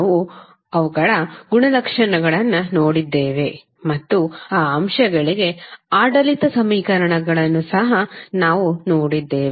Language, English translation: Kannada, We saw their properties and we also saw the governing equations for those elements